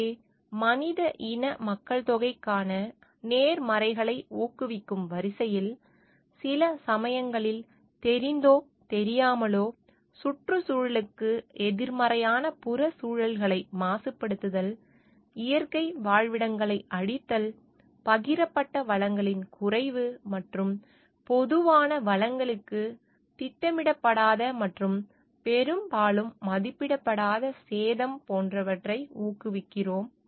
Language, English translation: Tamil, So, in the order of promoting the positives for the human species population; sometimes knowingly or unknowingly, we promote negative externalities for the environment in terms of pollution, destruction of natural habitats, depletions of shared resources, and other unintended and often unappreciated damage to common resources